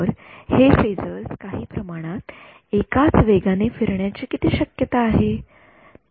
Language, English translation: Marathi, So, what is the only possibility for these phasors to rotate at the same speed in some sense